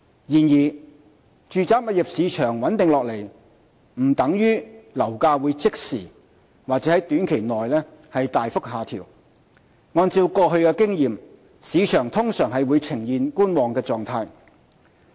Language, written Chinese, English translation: Cantonese, 然而，住宅物業市場穩定下來不等於樓價會即時或在短期內大幅下調，按過去經驗，市場通常會呈觀望狀態。, Nevertheless even if the property market has been stabilized it does not mean that property prices will significantly drop instantly or in the near future . Judging from experience a wait - and - see attitude is commonplace in the market